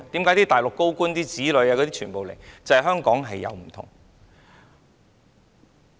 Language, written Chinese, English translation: Cantonese, 為何大陸高官的子女要來港？, Why do the children of Mainland senior officials come to Hong Kong?